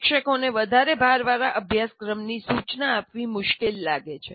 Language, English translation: Gujarati, And they find it difficult to instruct an overloaded curriculum